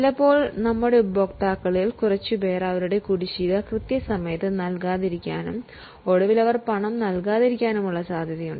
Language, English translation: Malayalam, Now, there is a likelihood that few of our customers don't pay their dues on time and eventually they don't pay at all